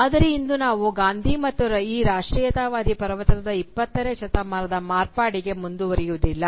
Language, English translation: Kannada, But today we will not proceed to Gandhi and the 20th century modification of this nationalist discourse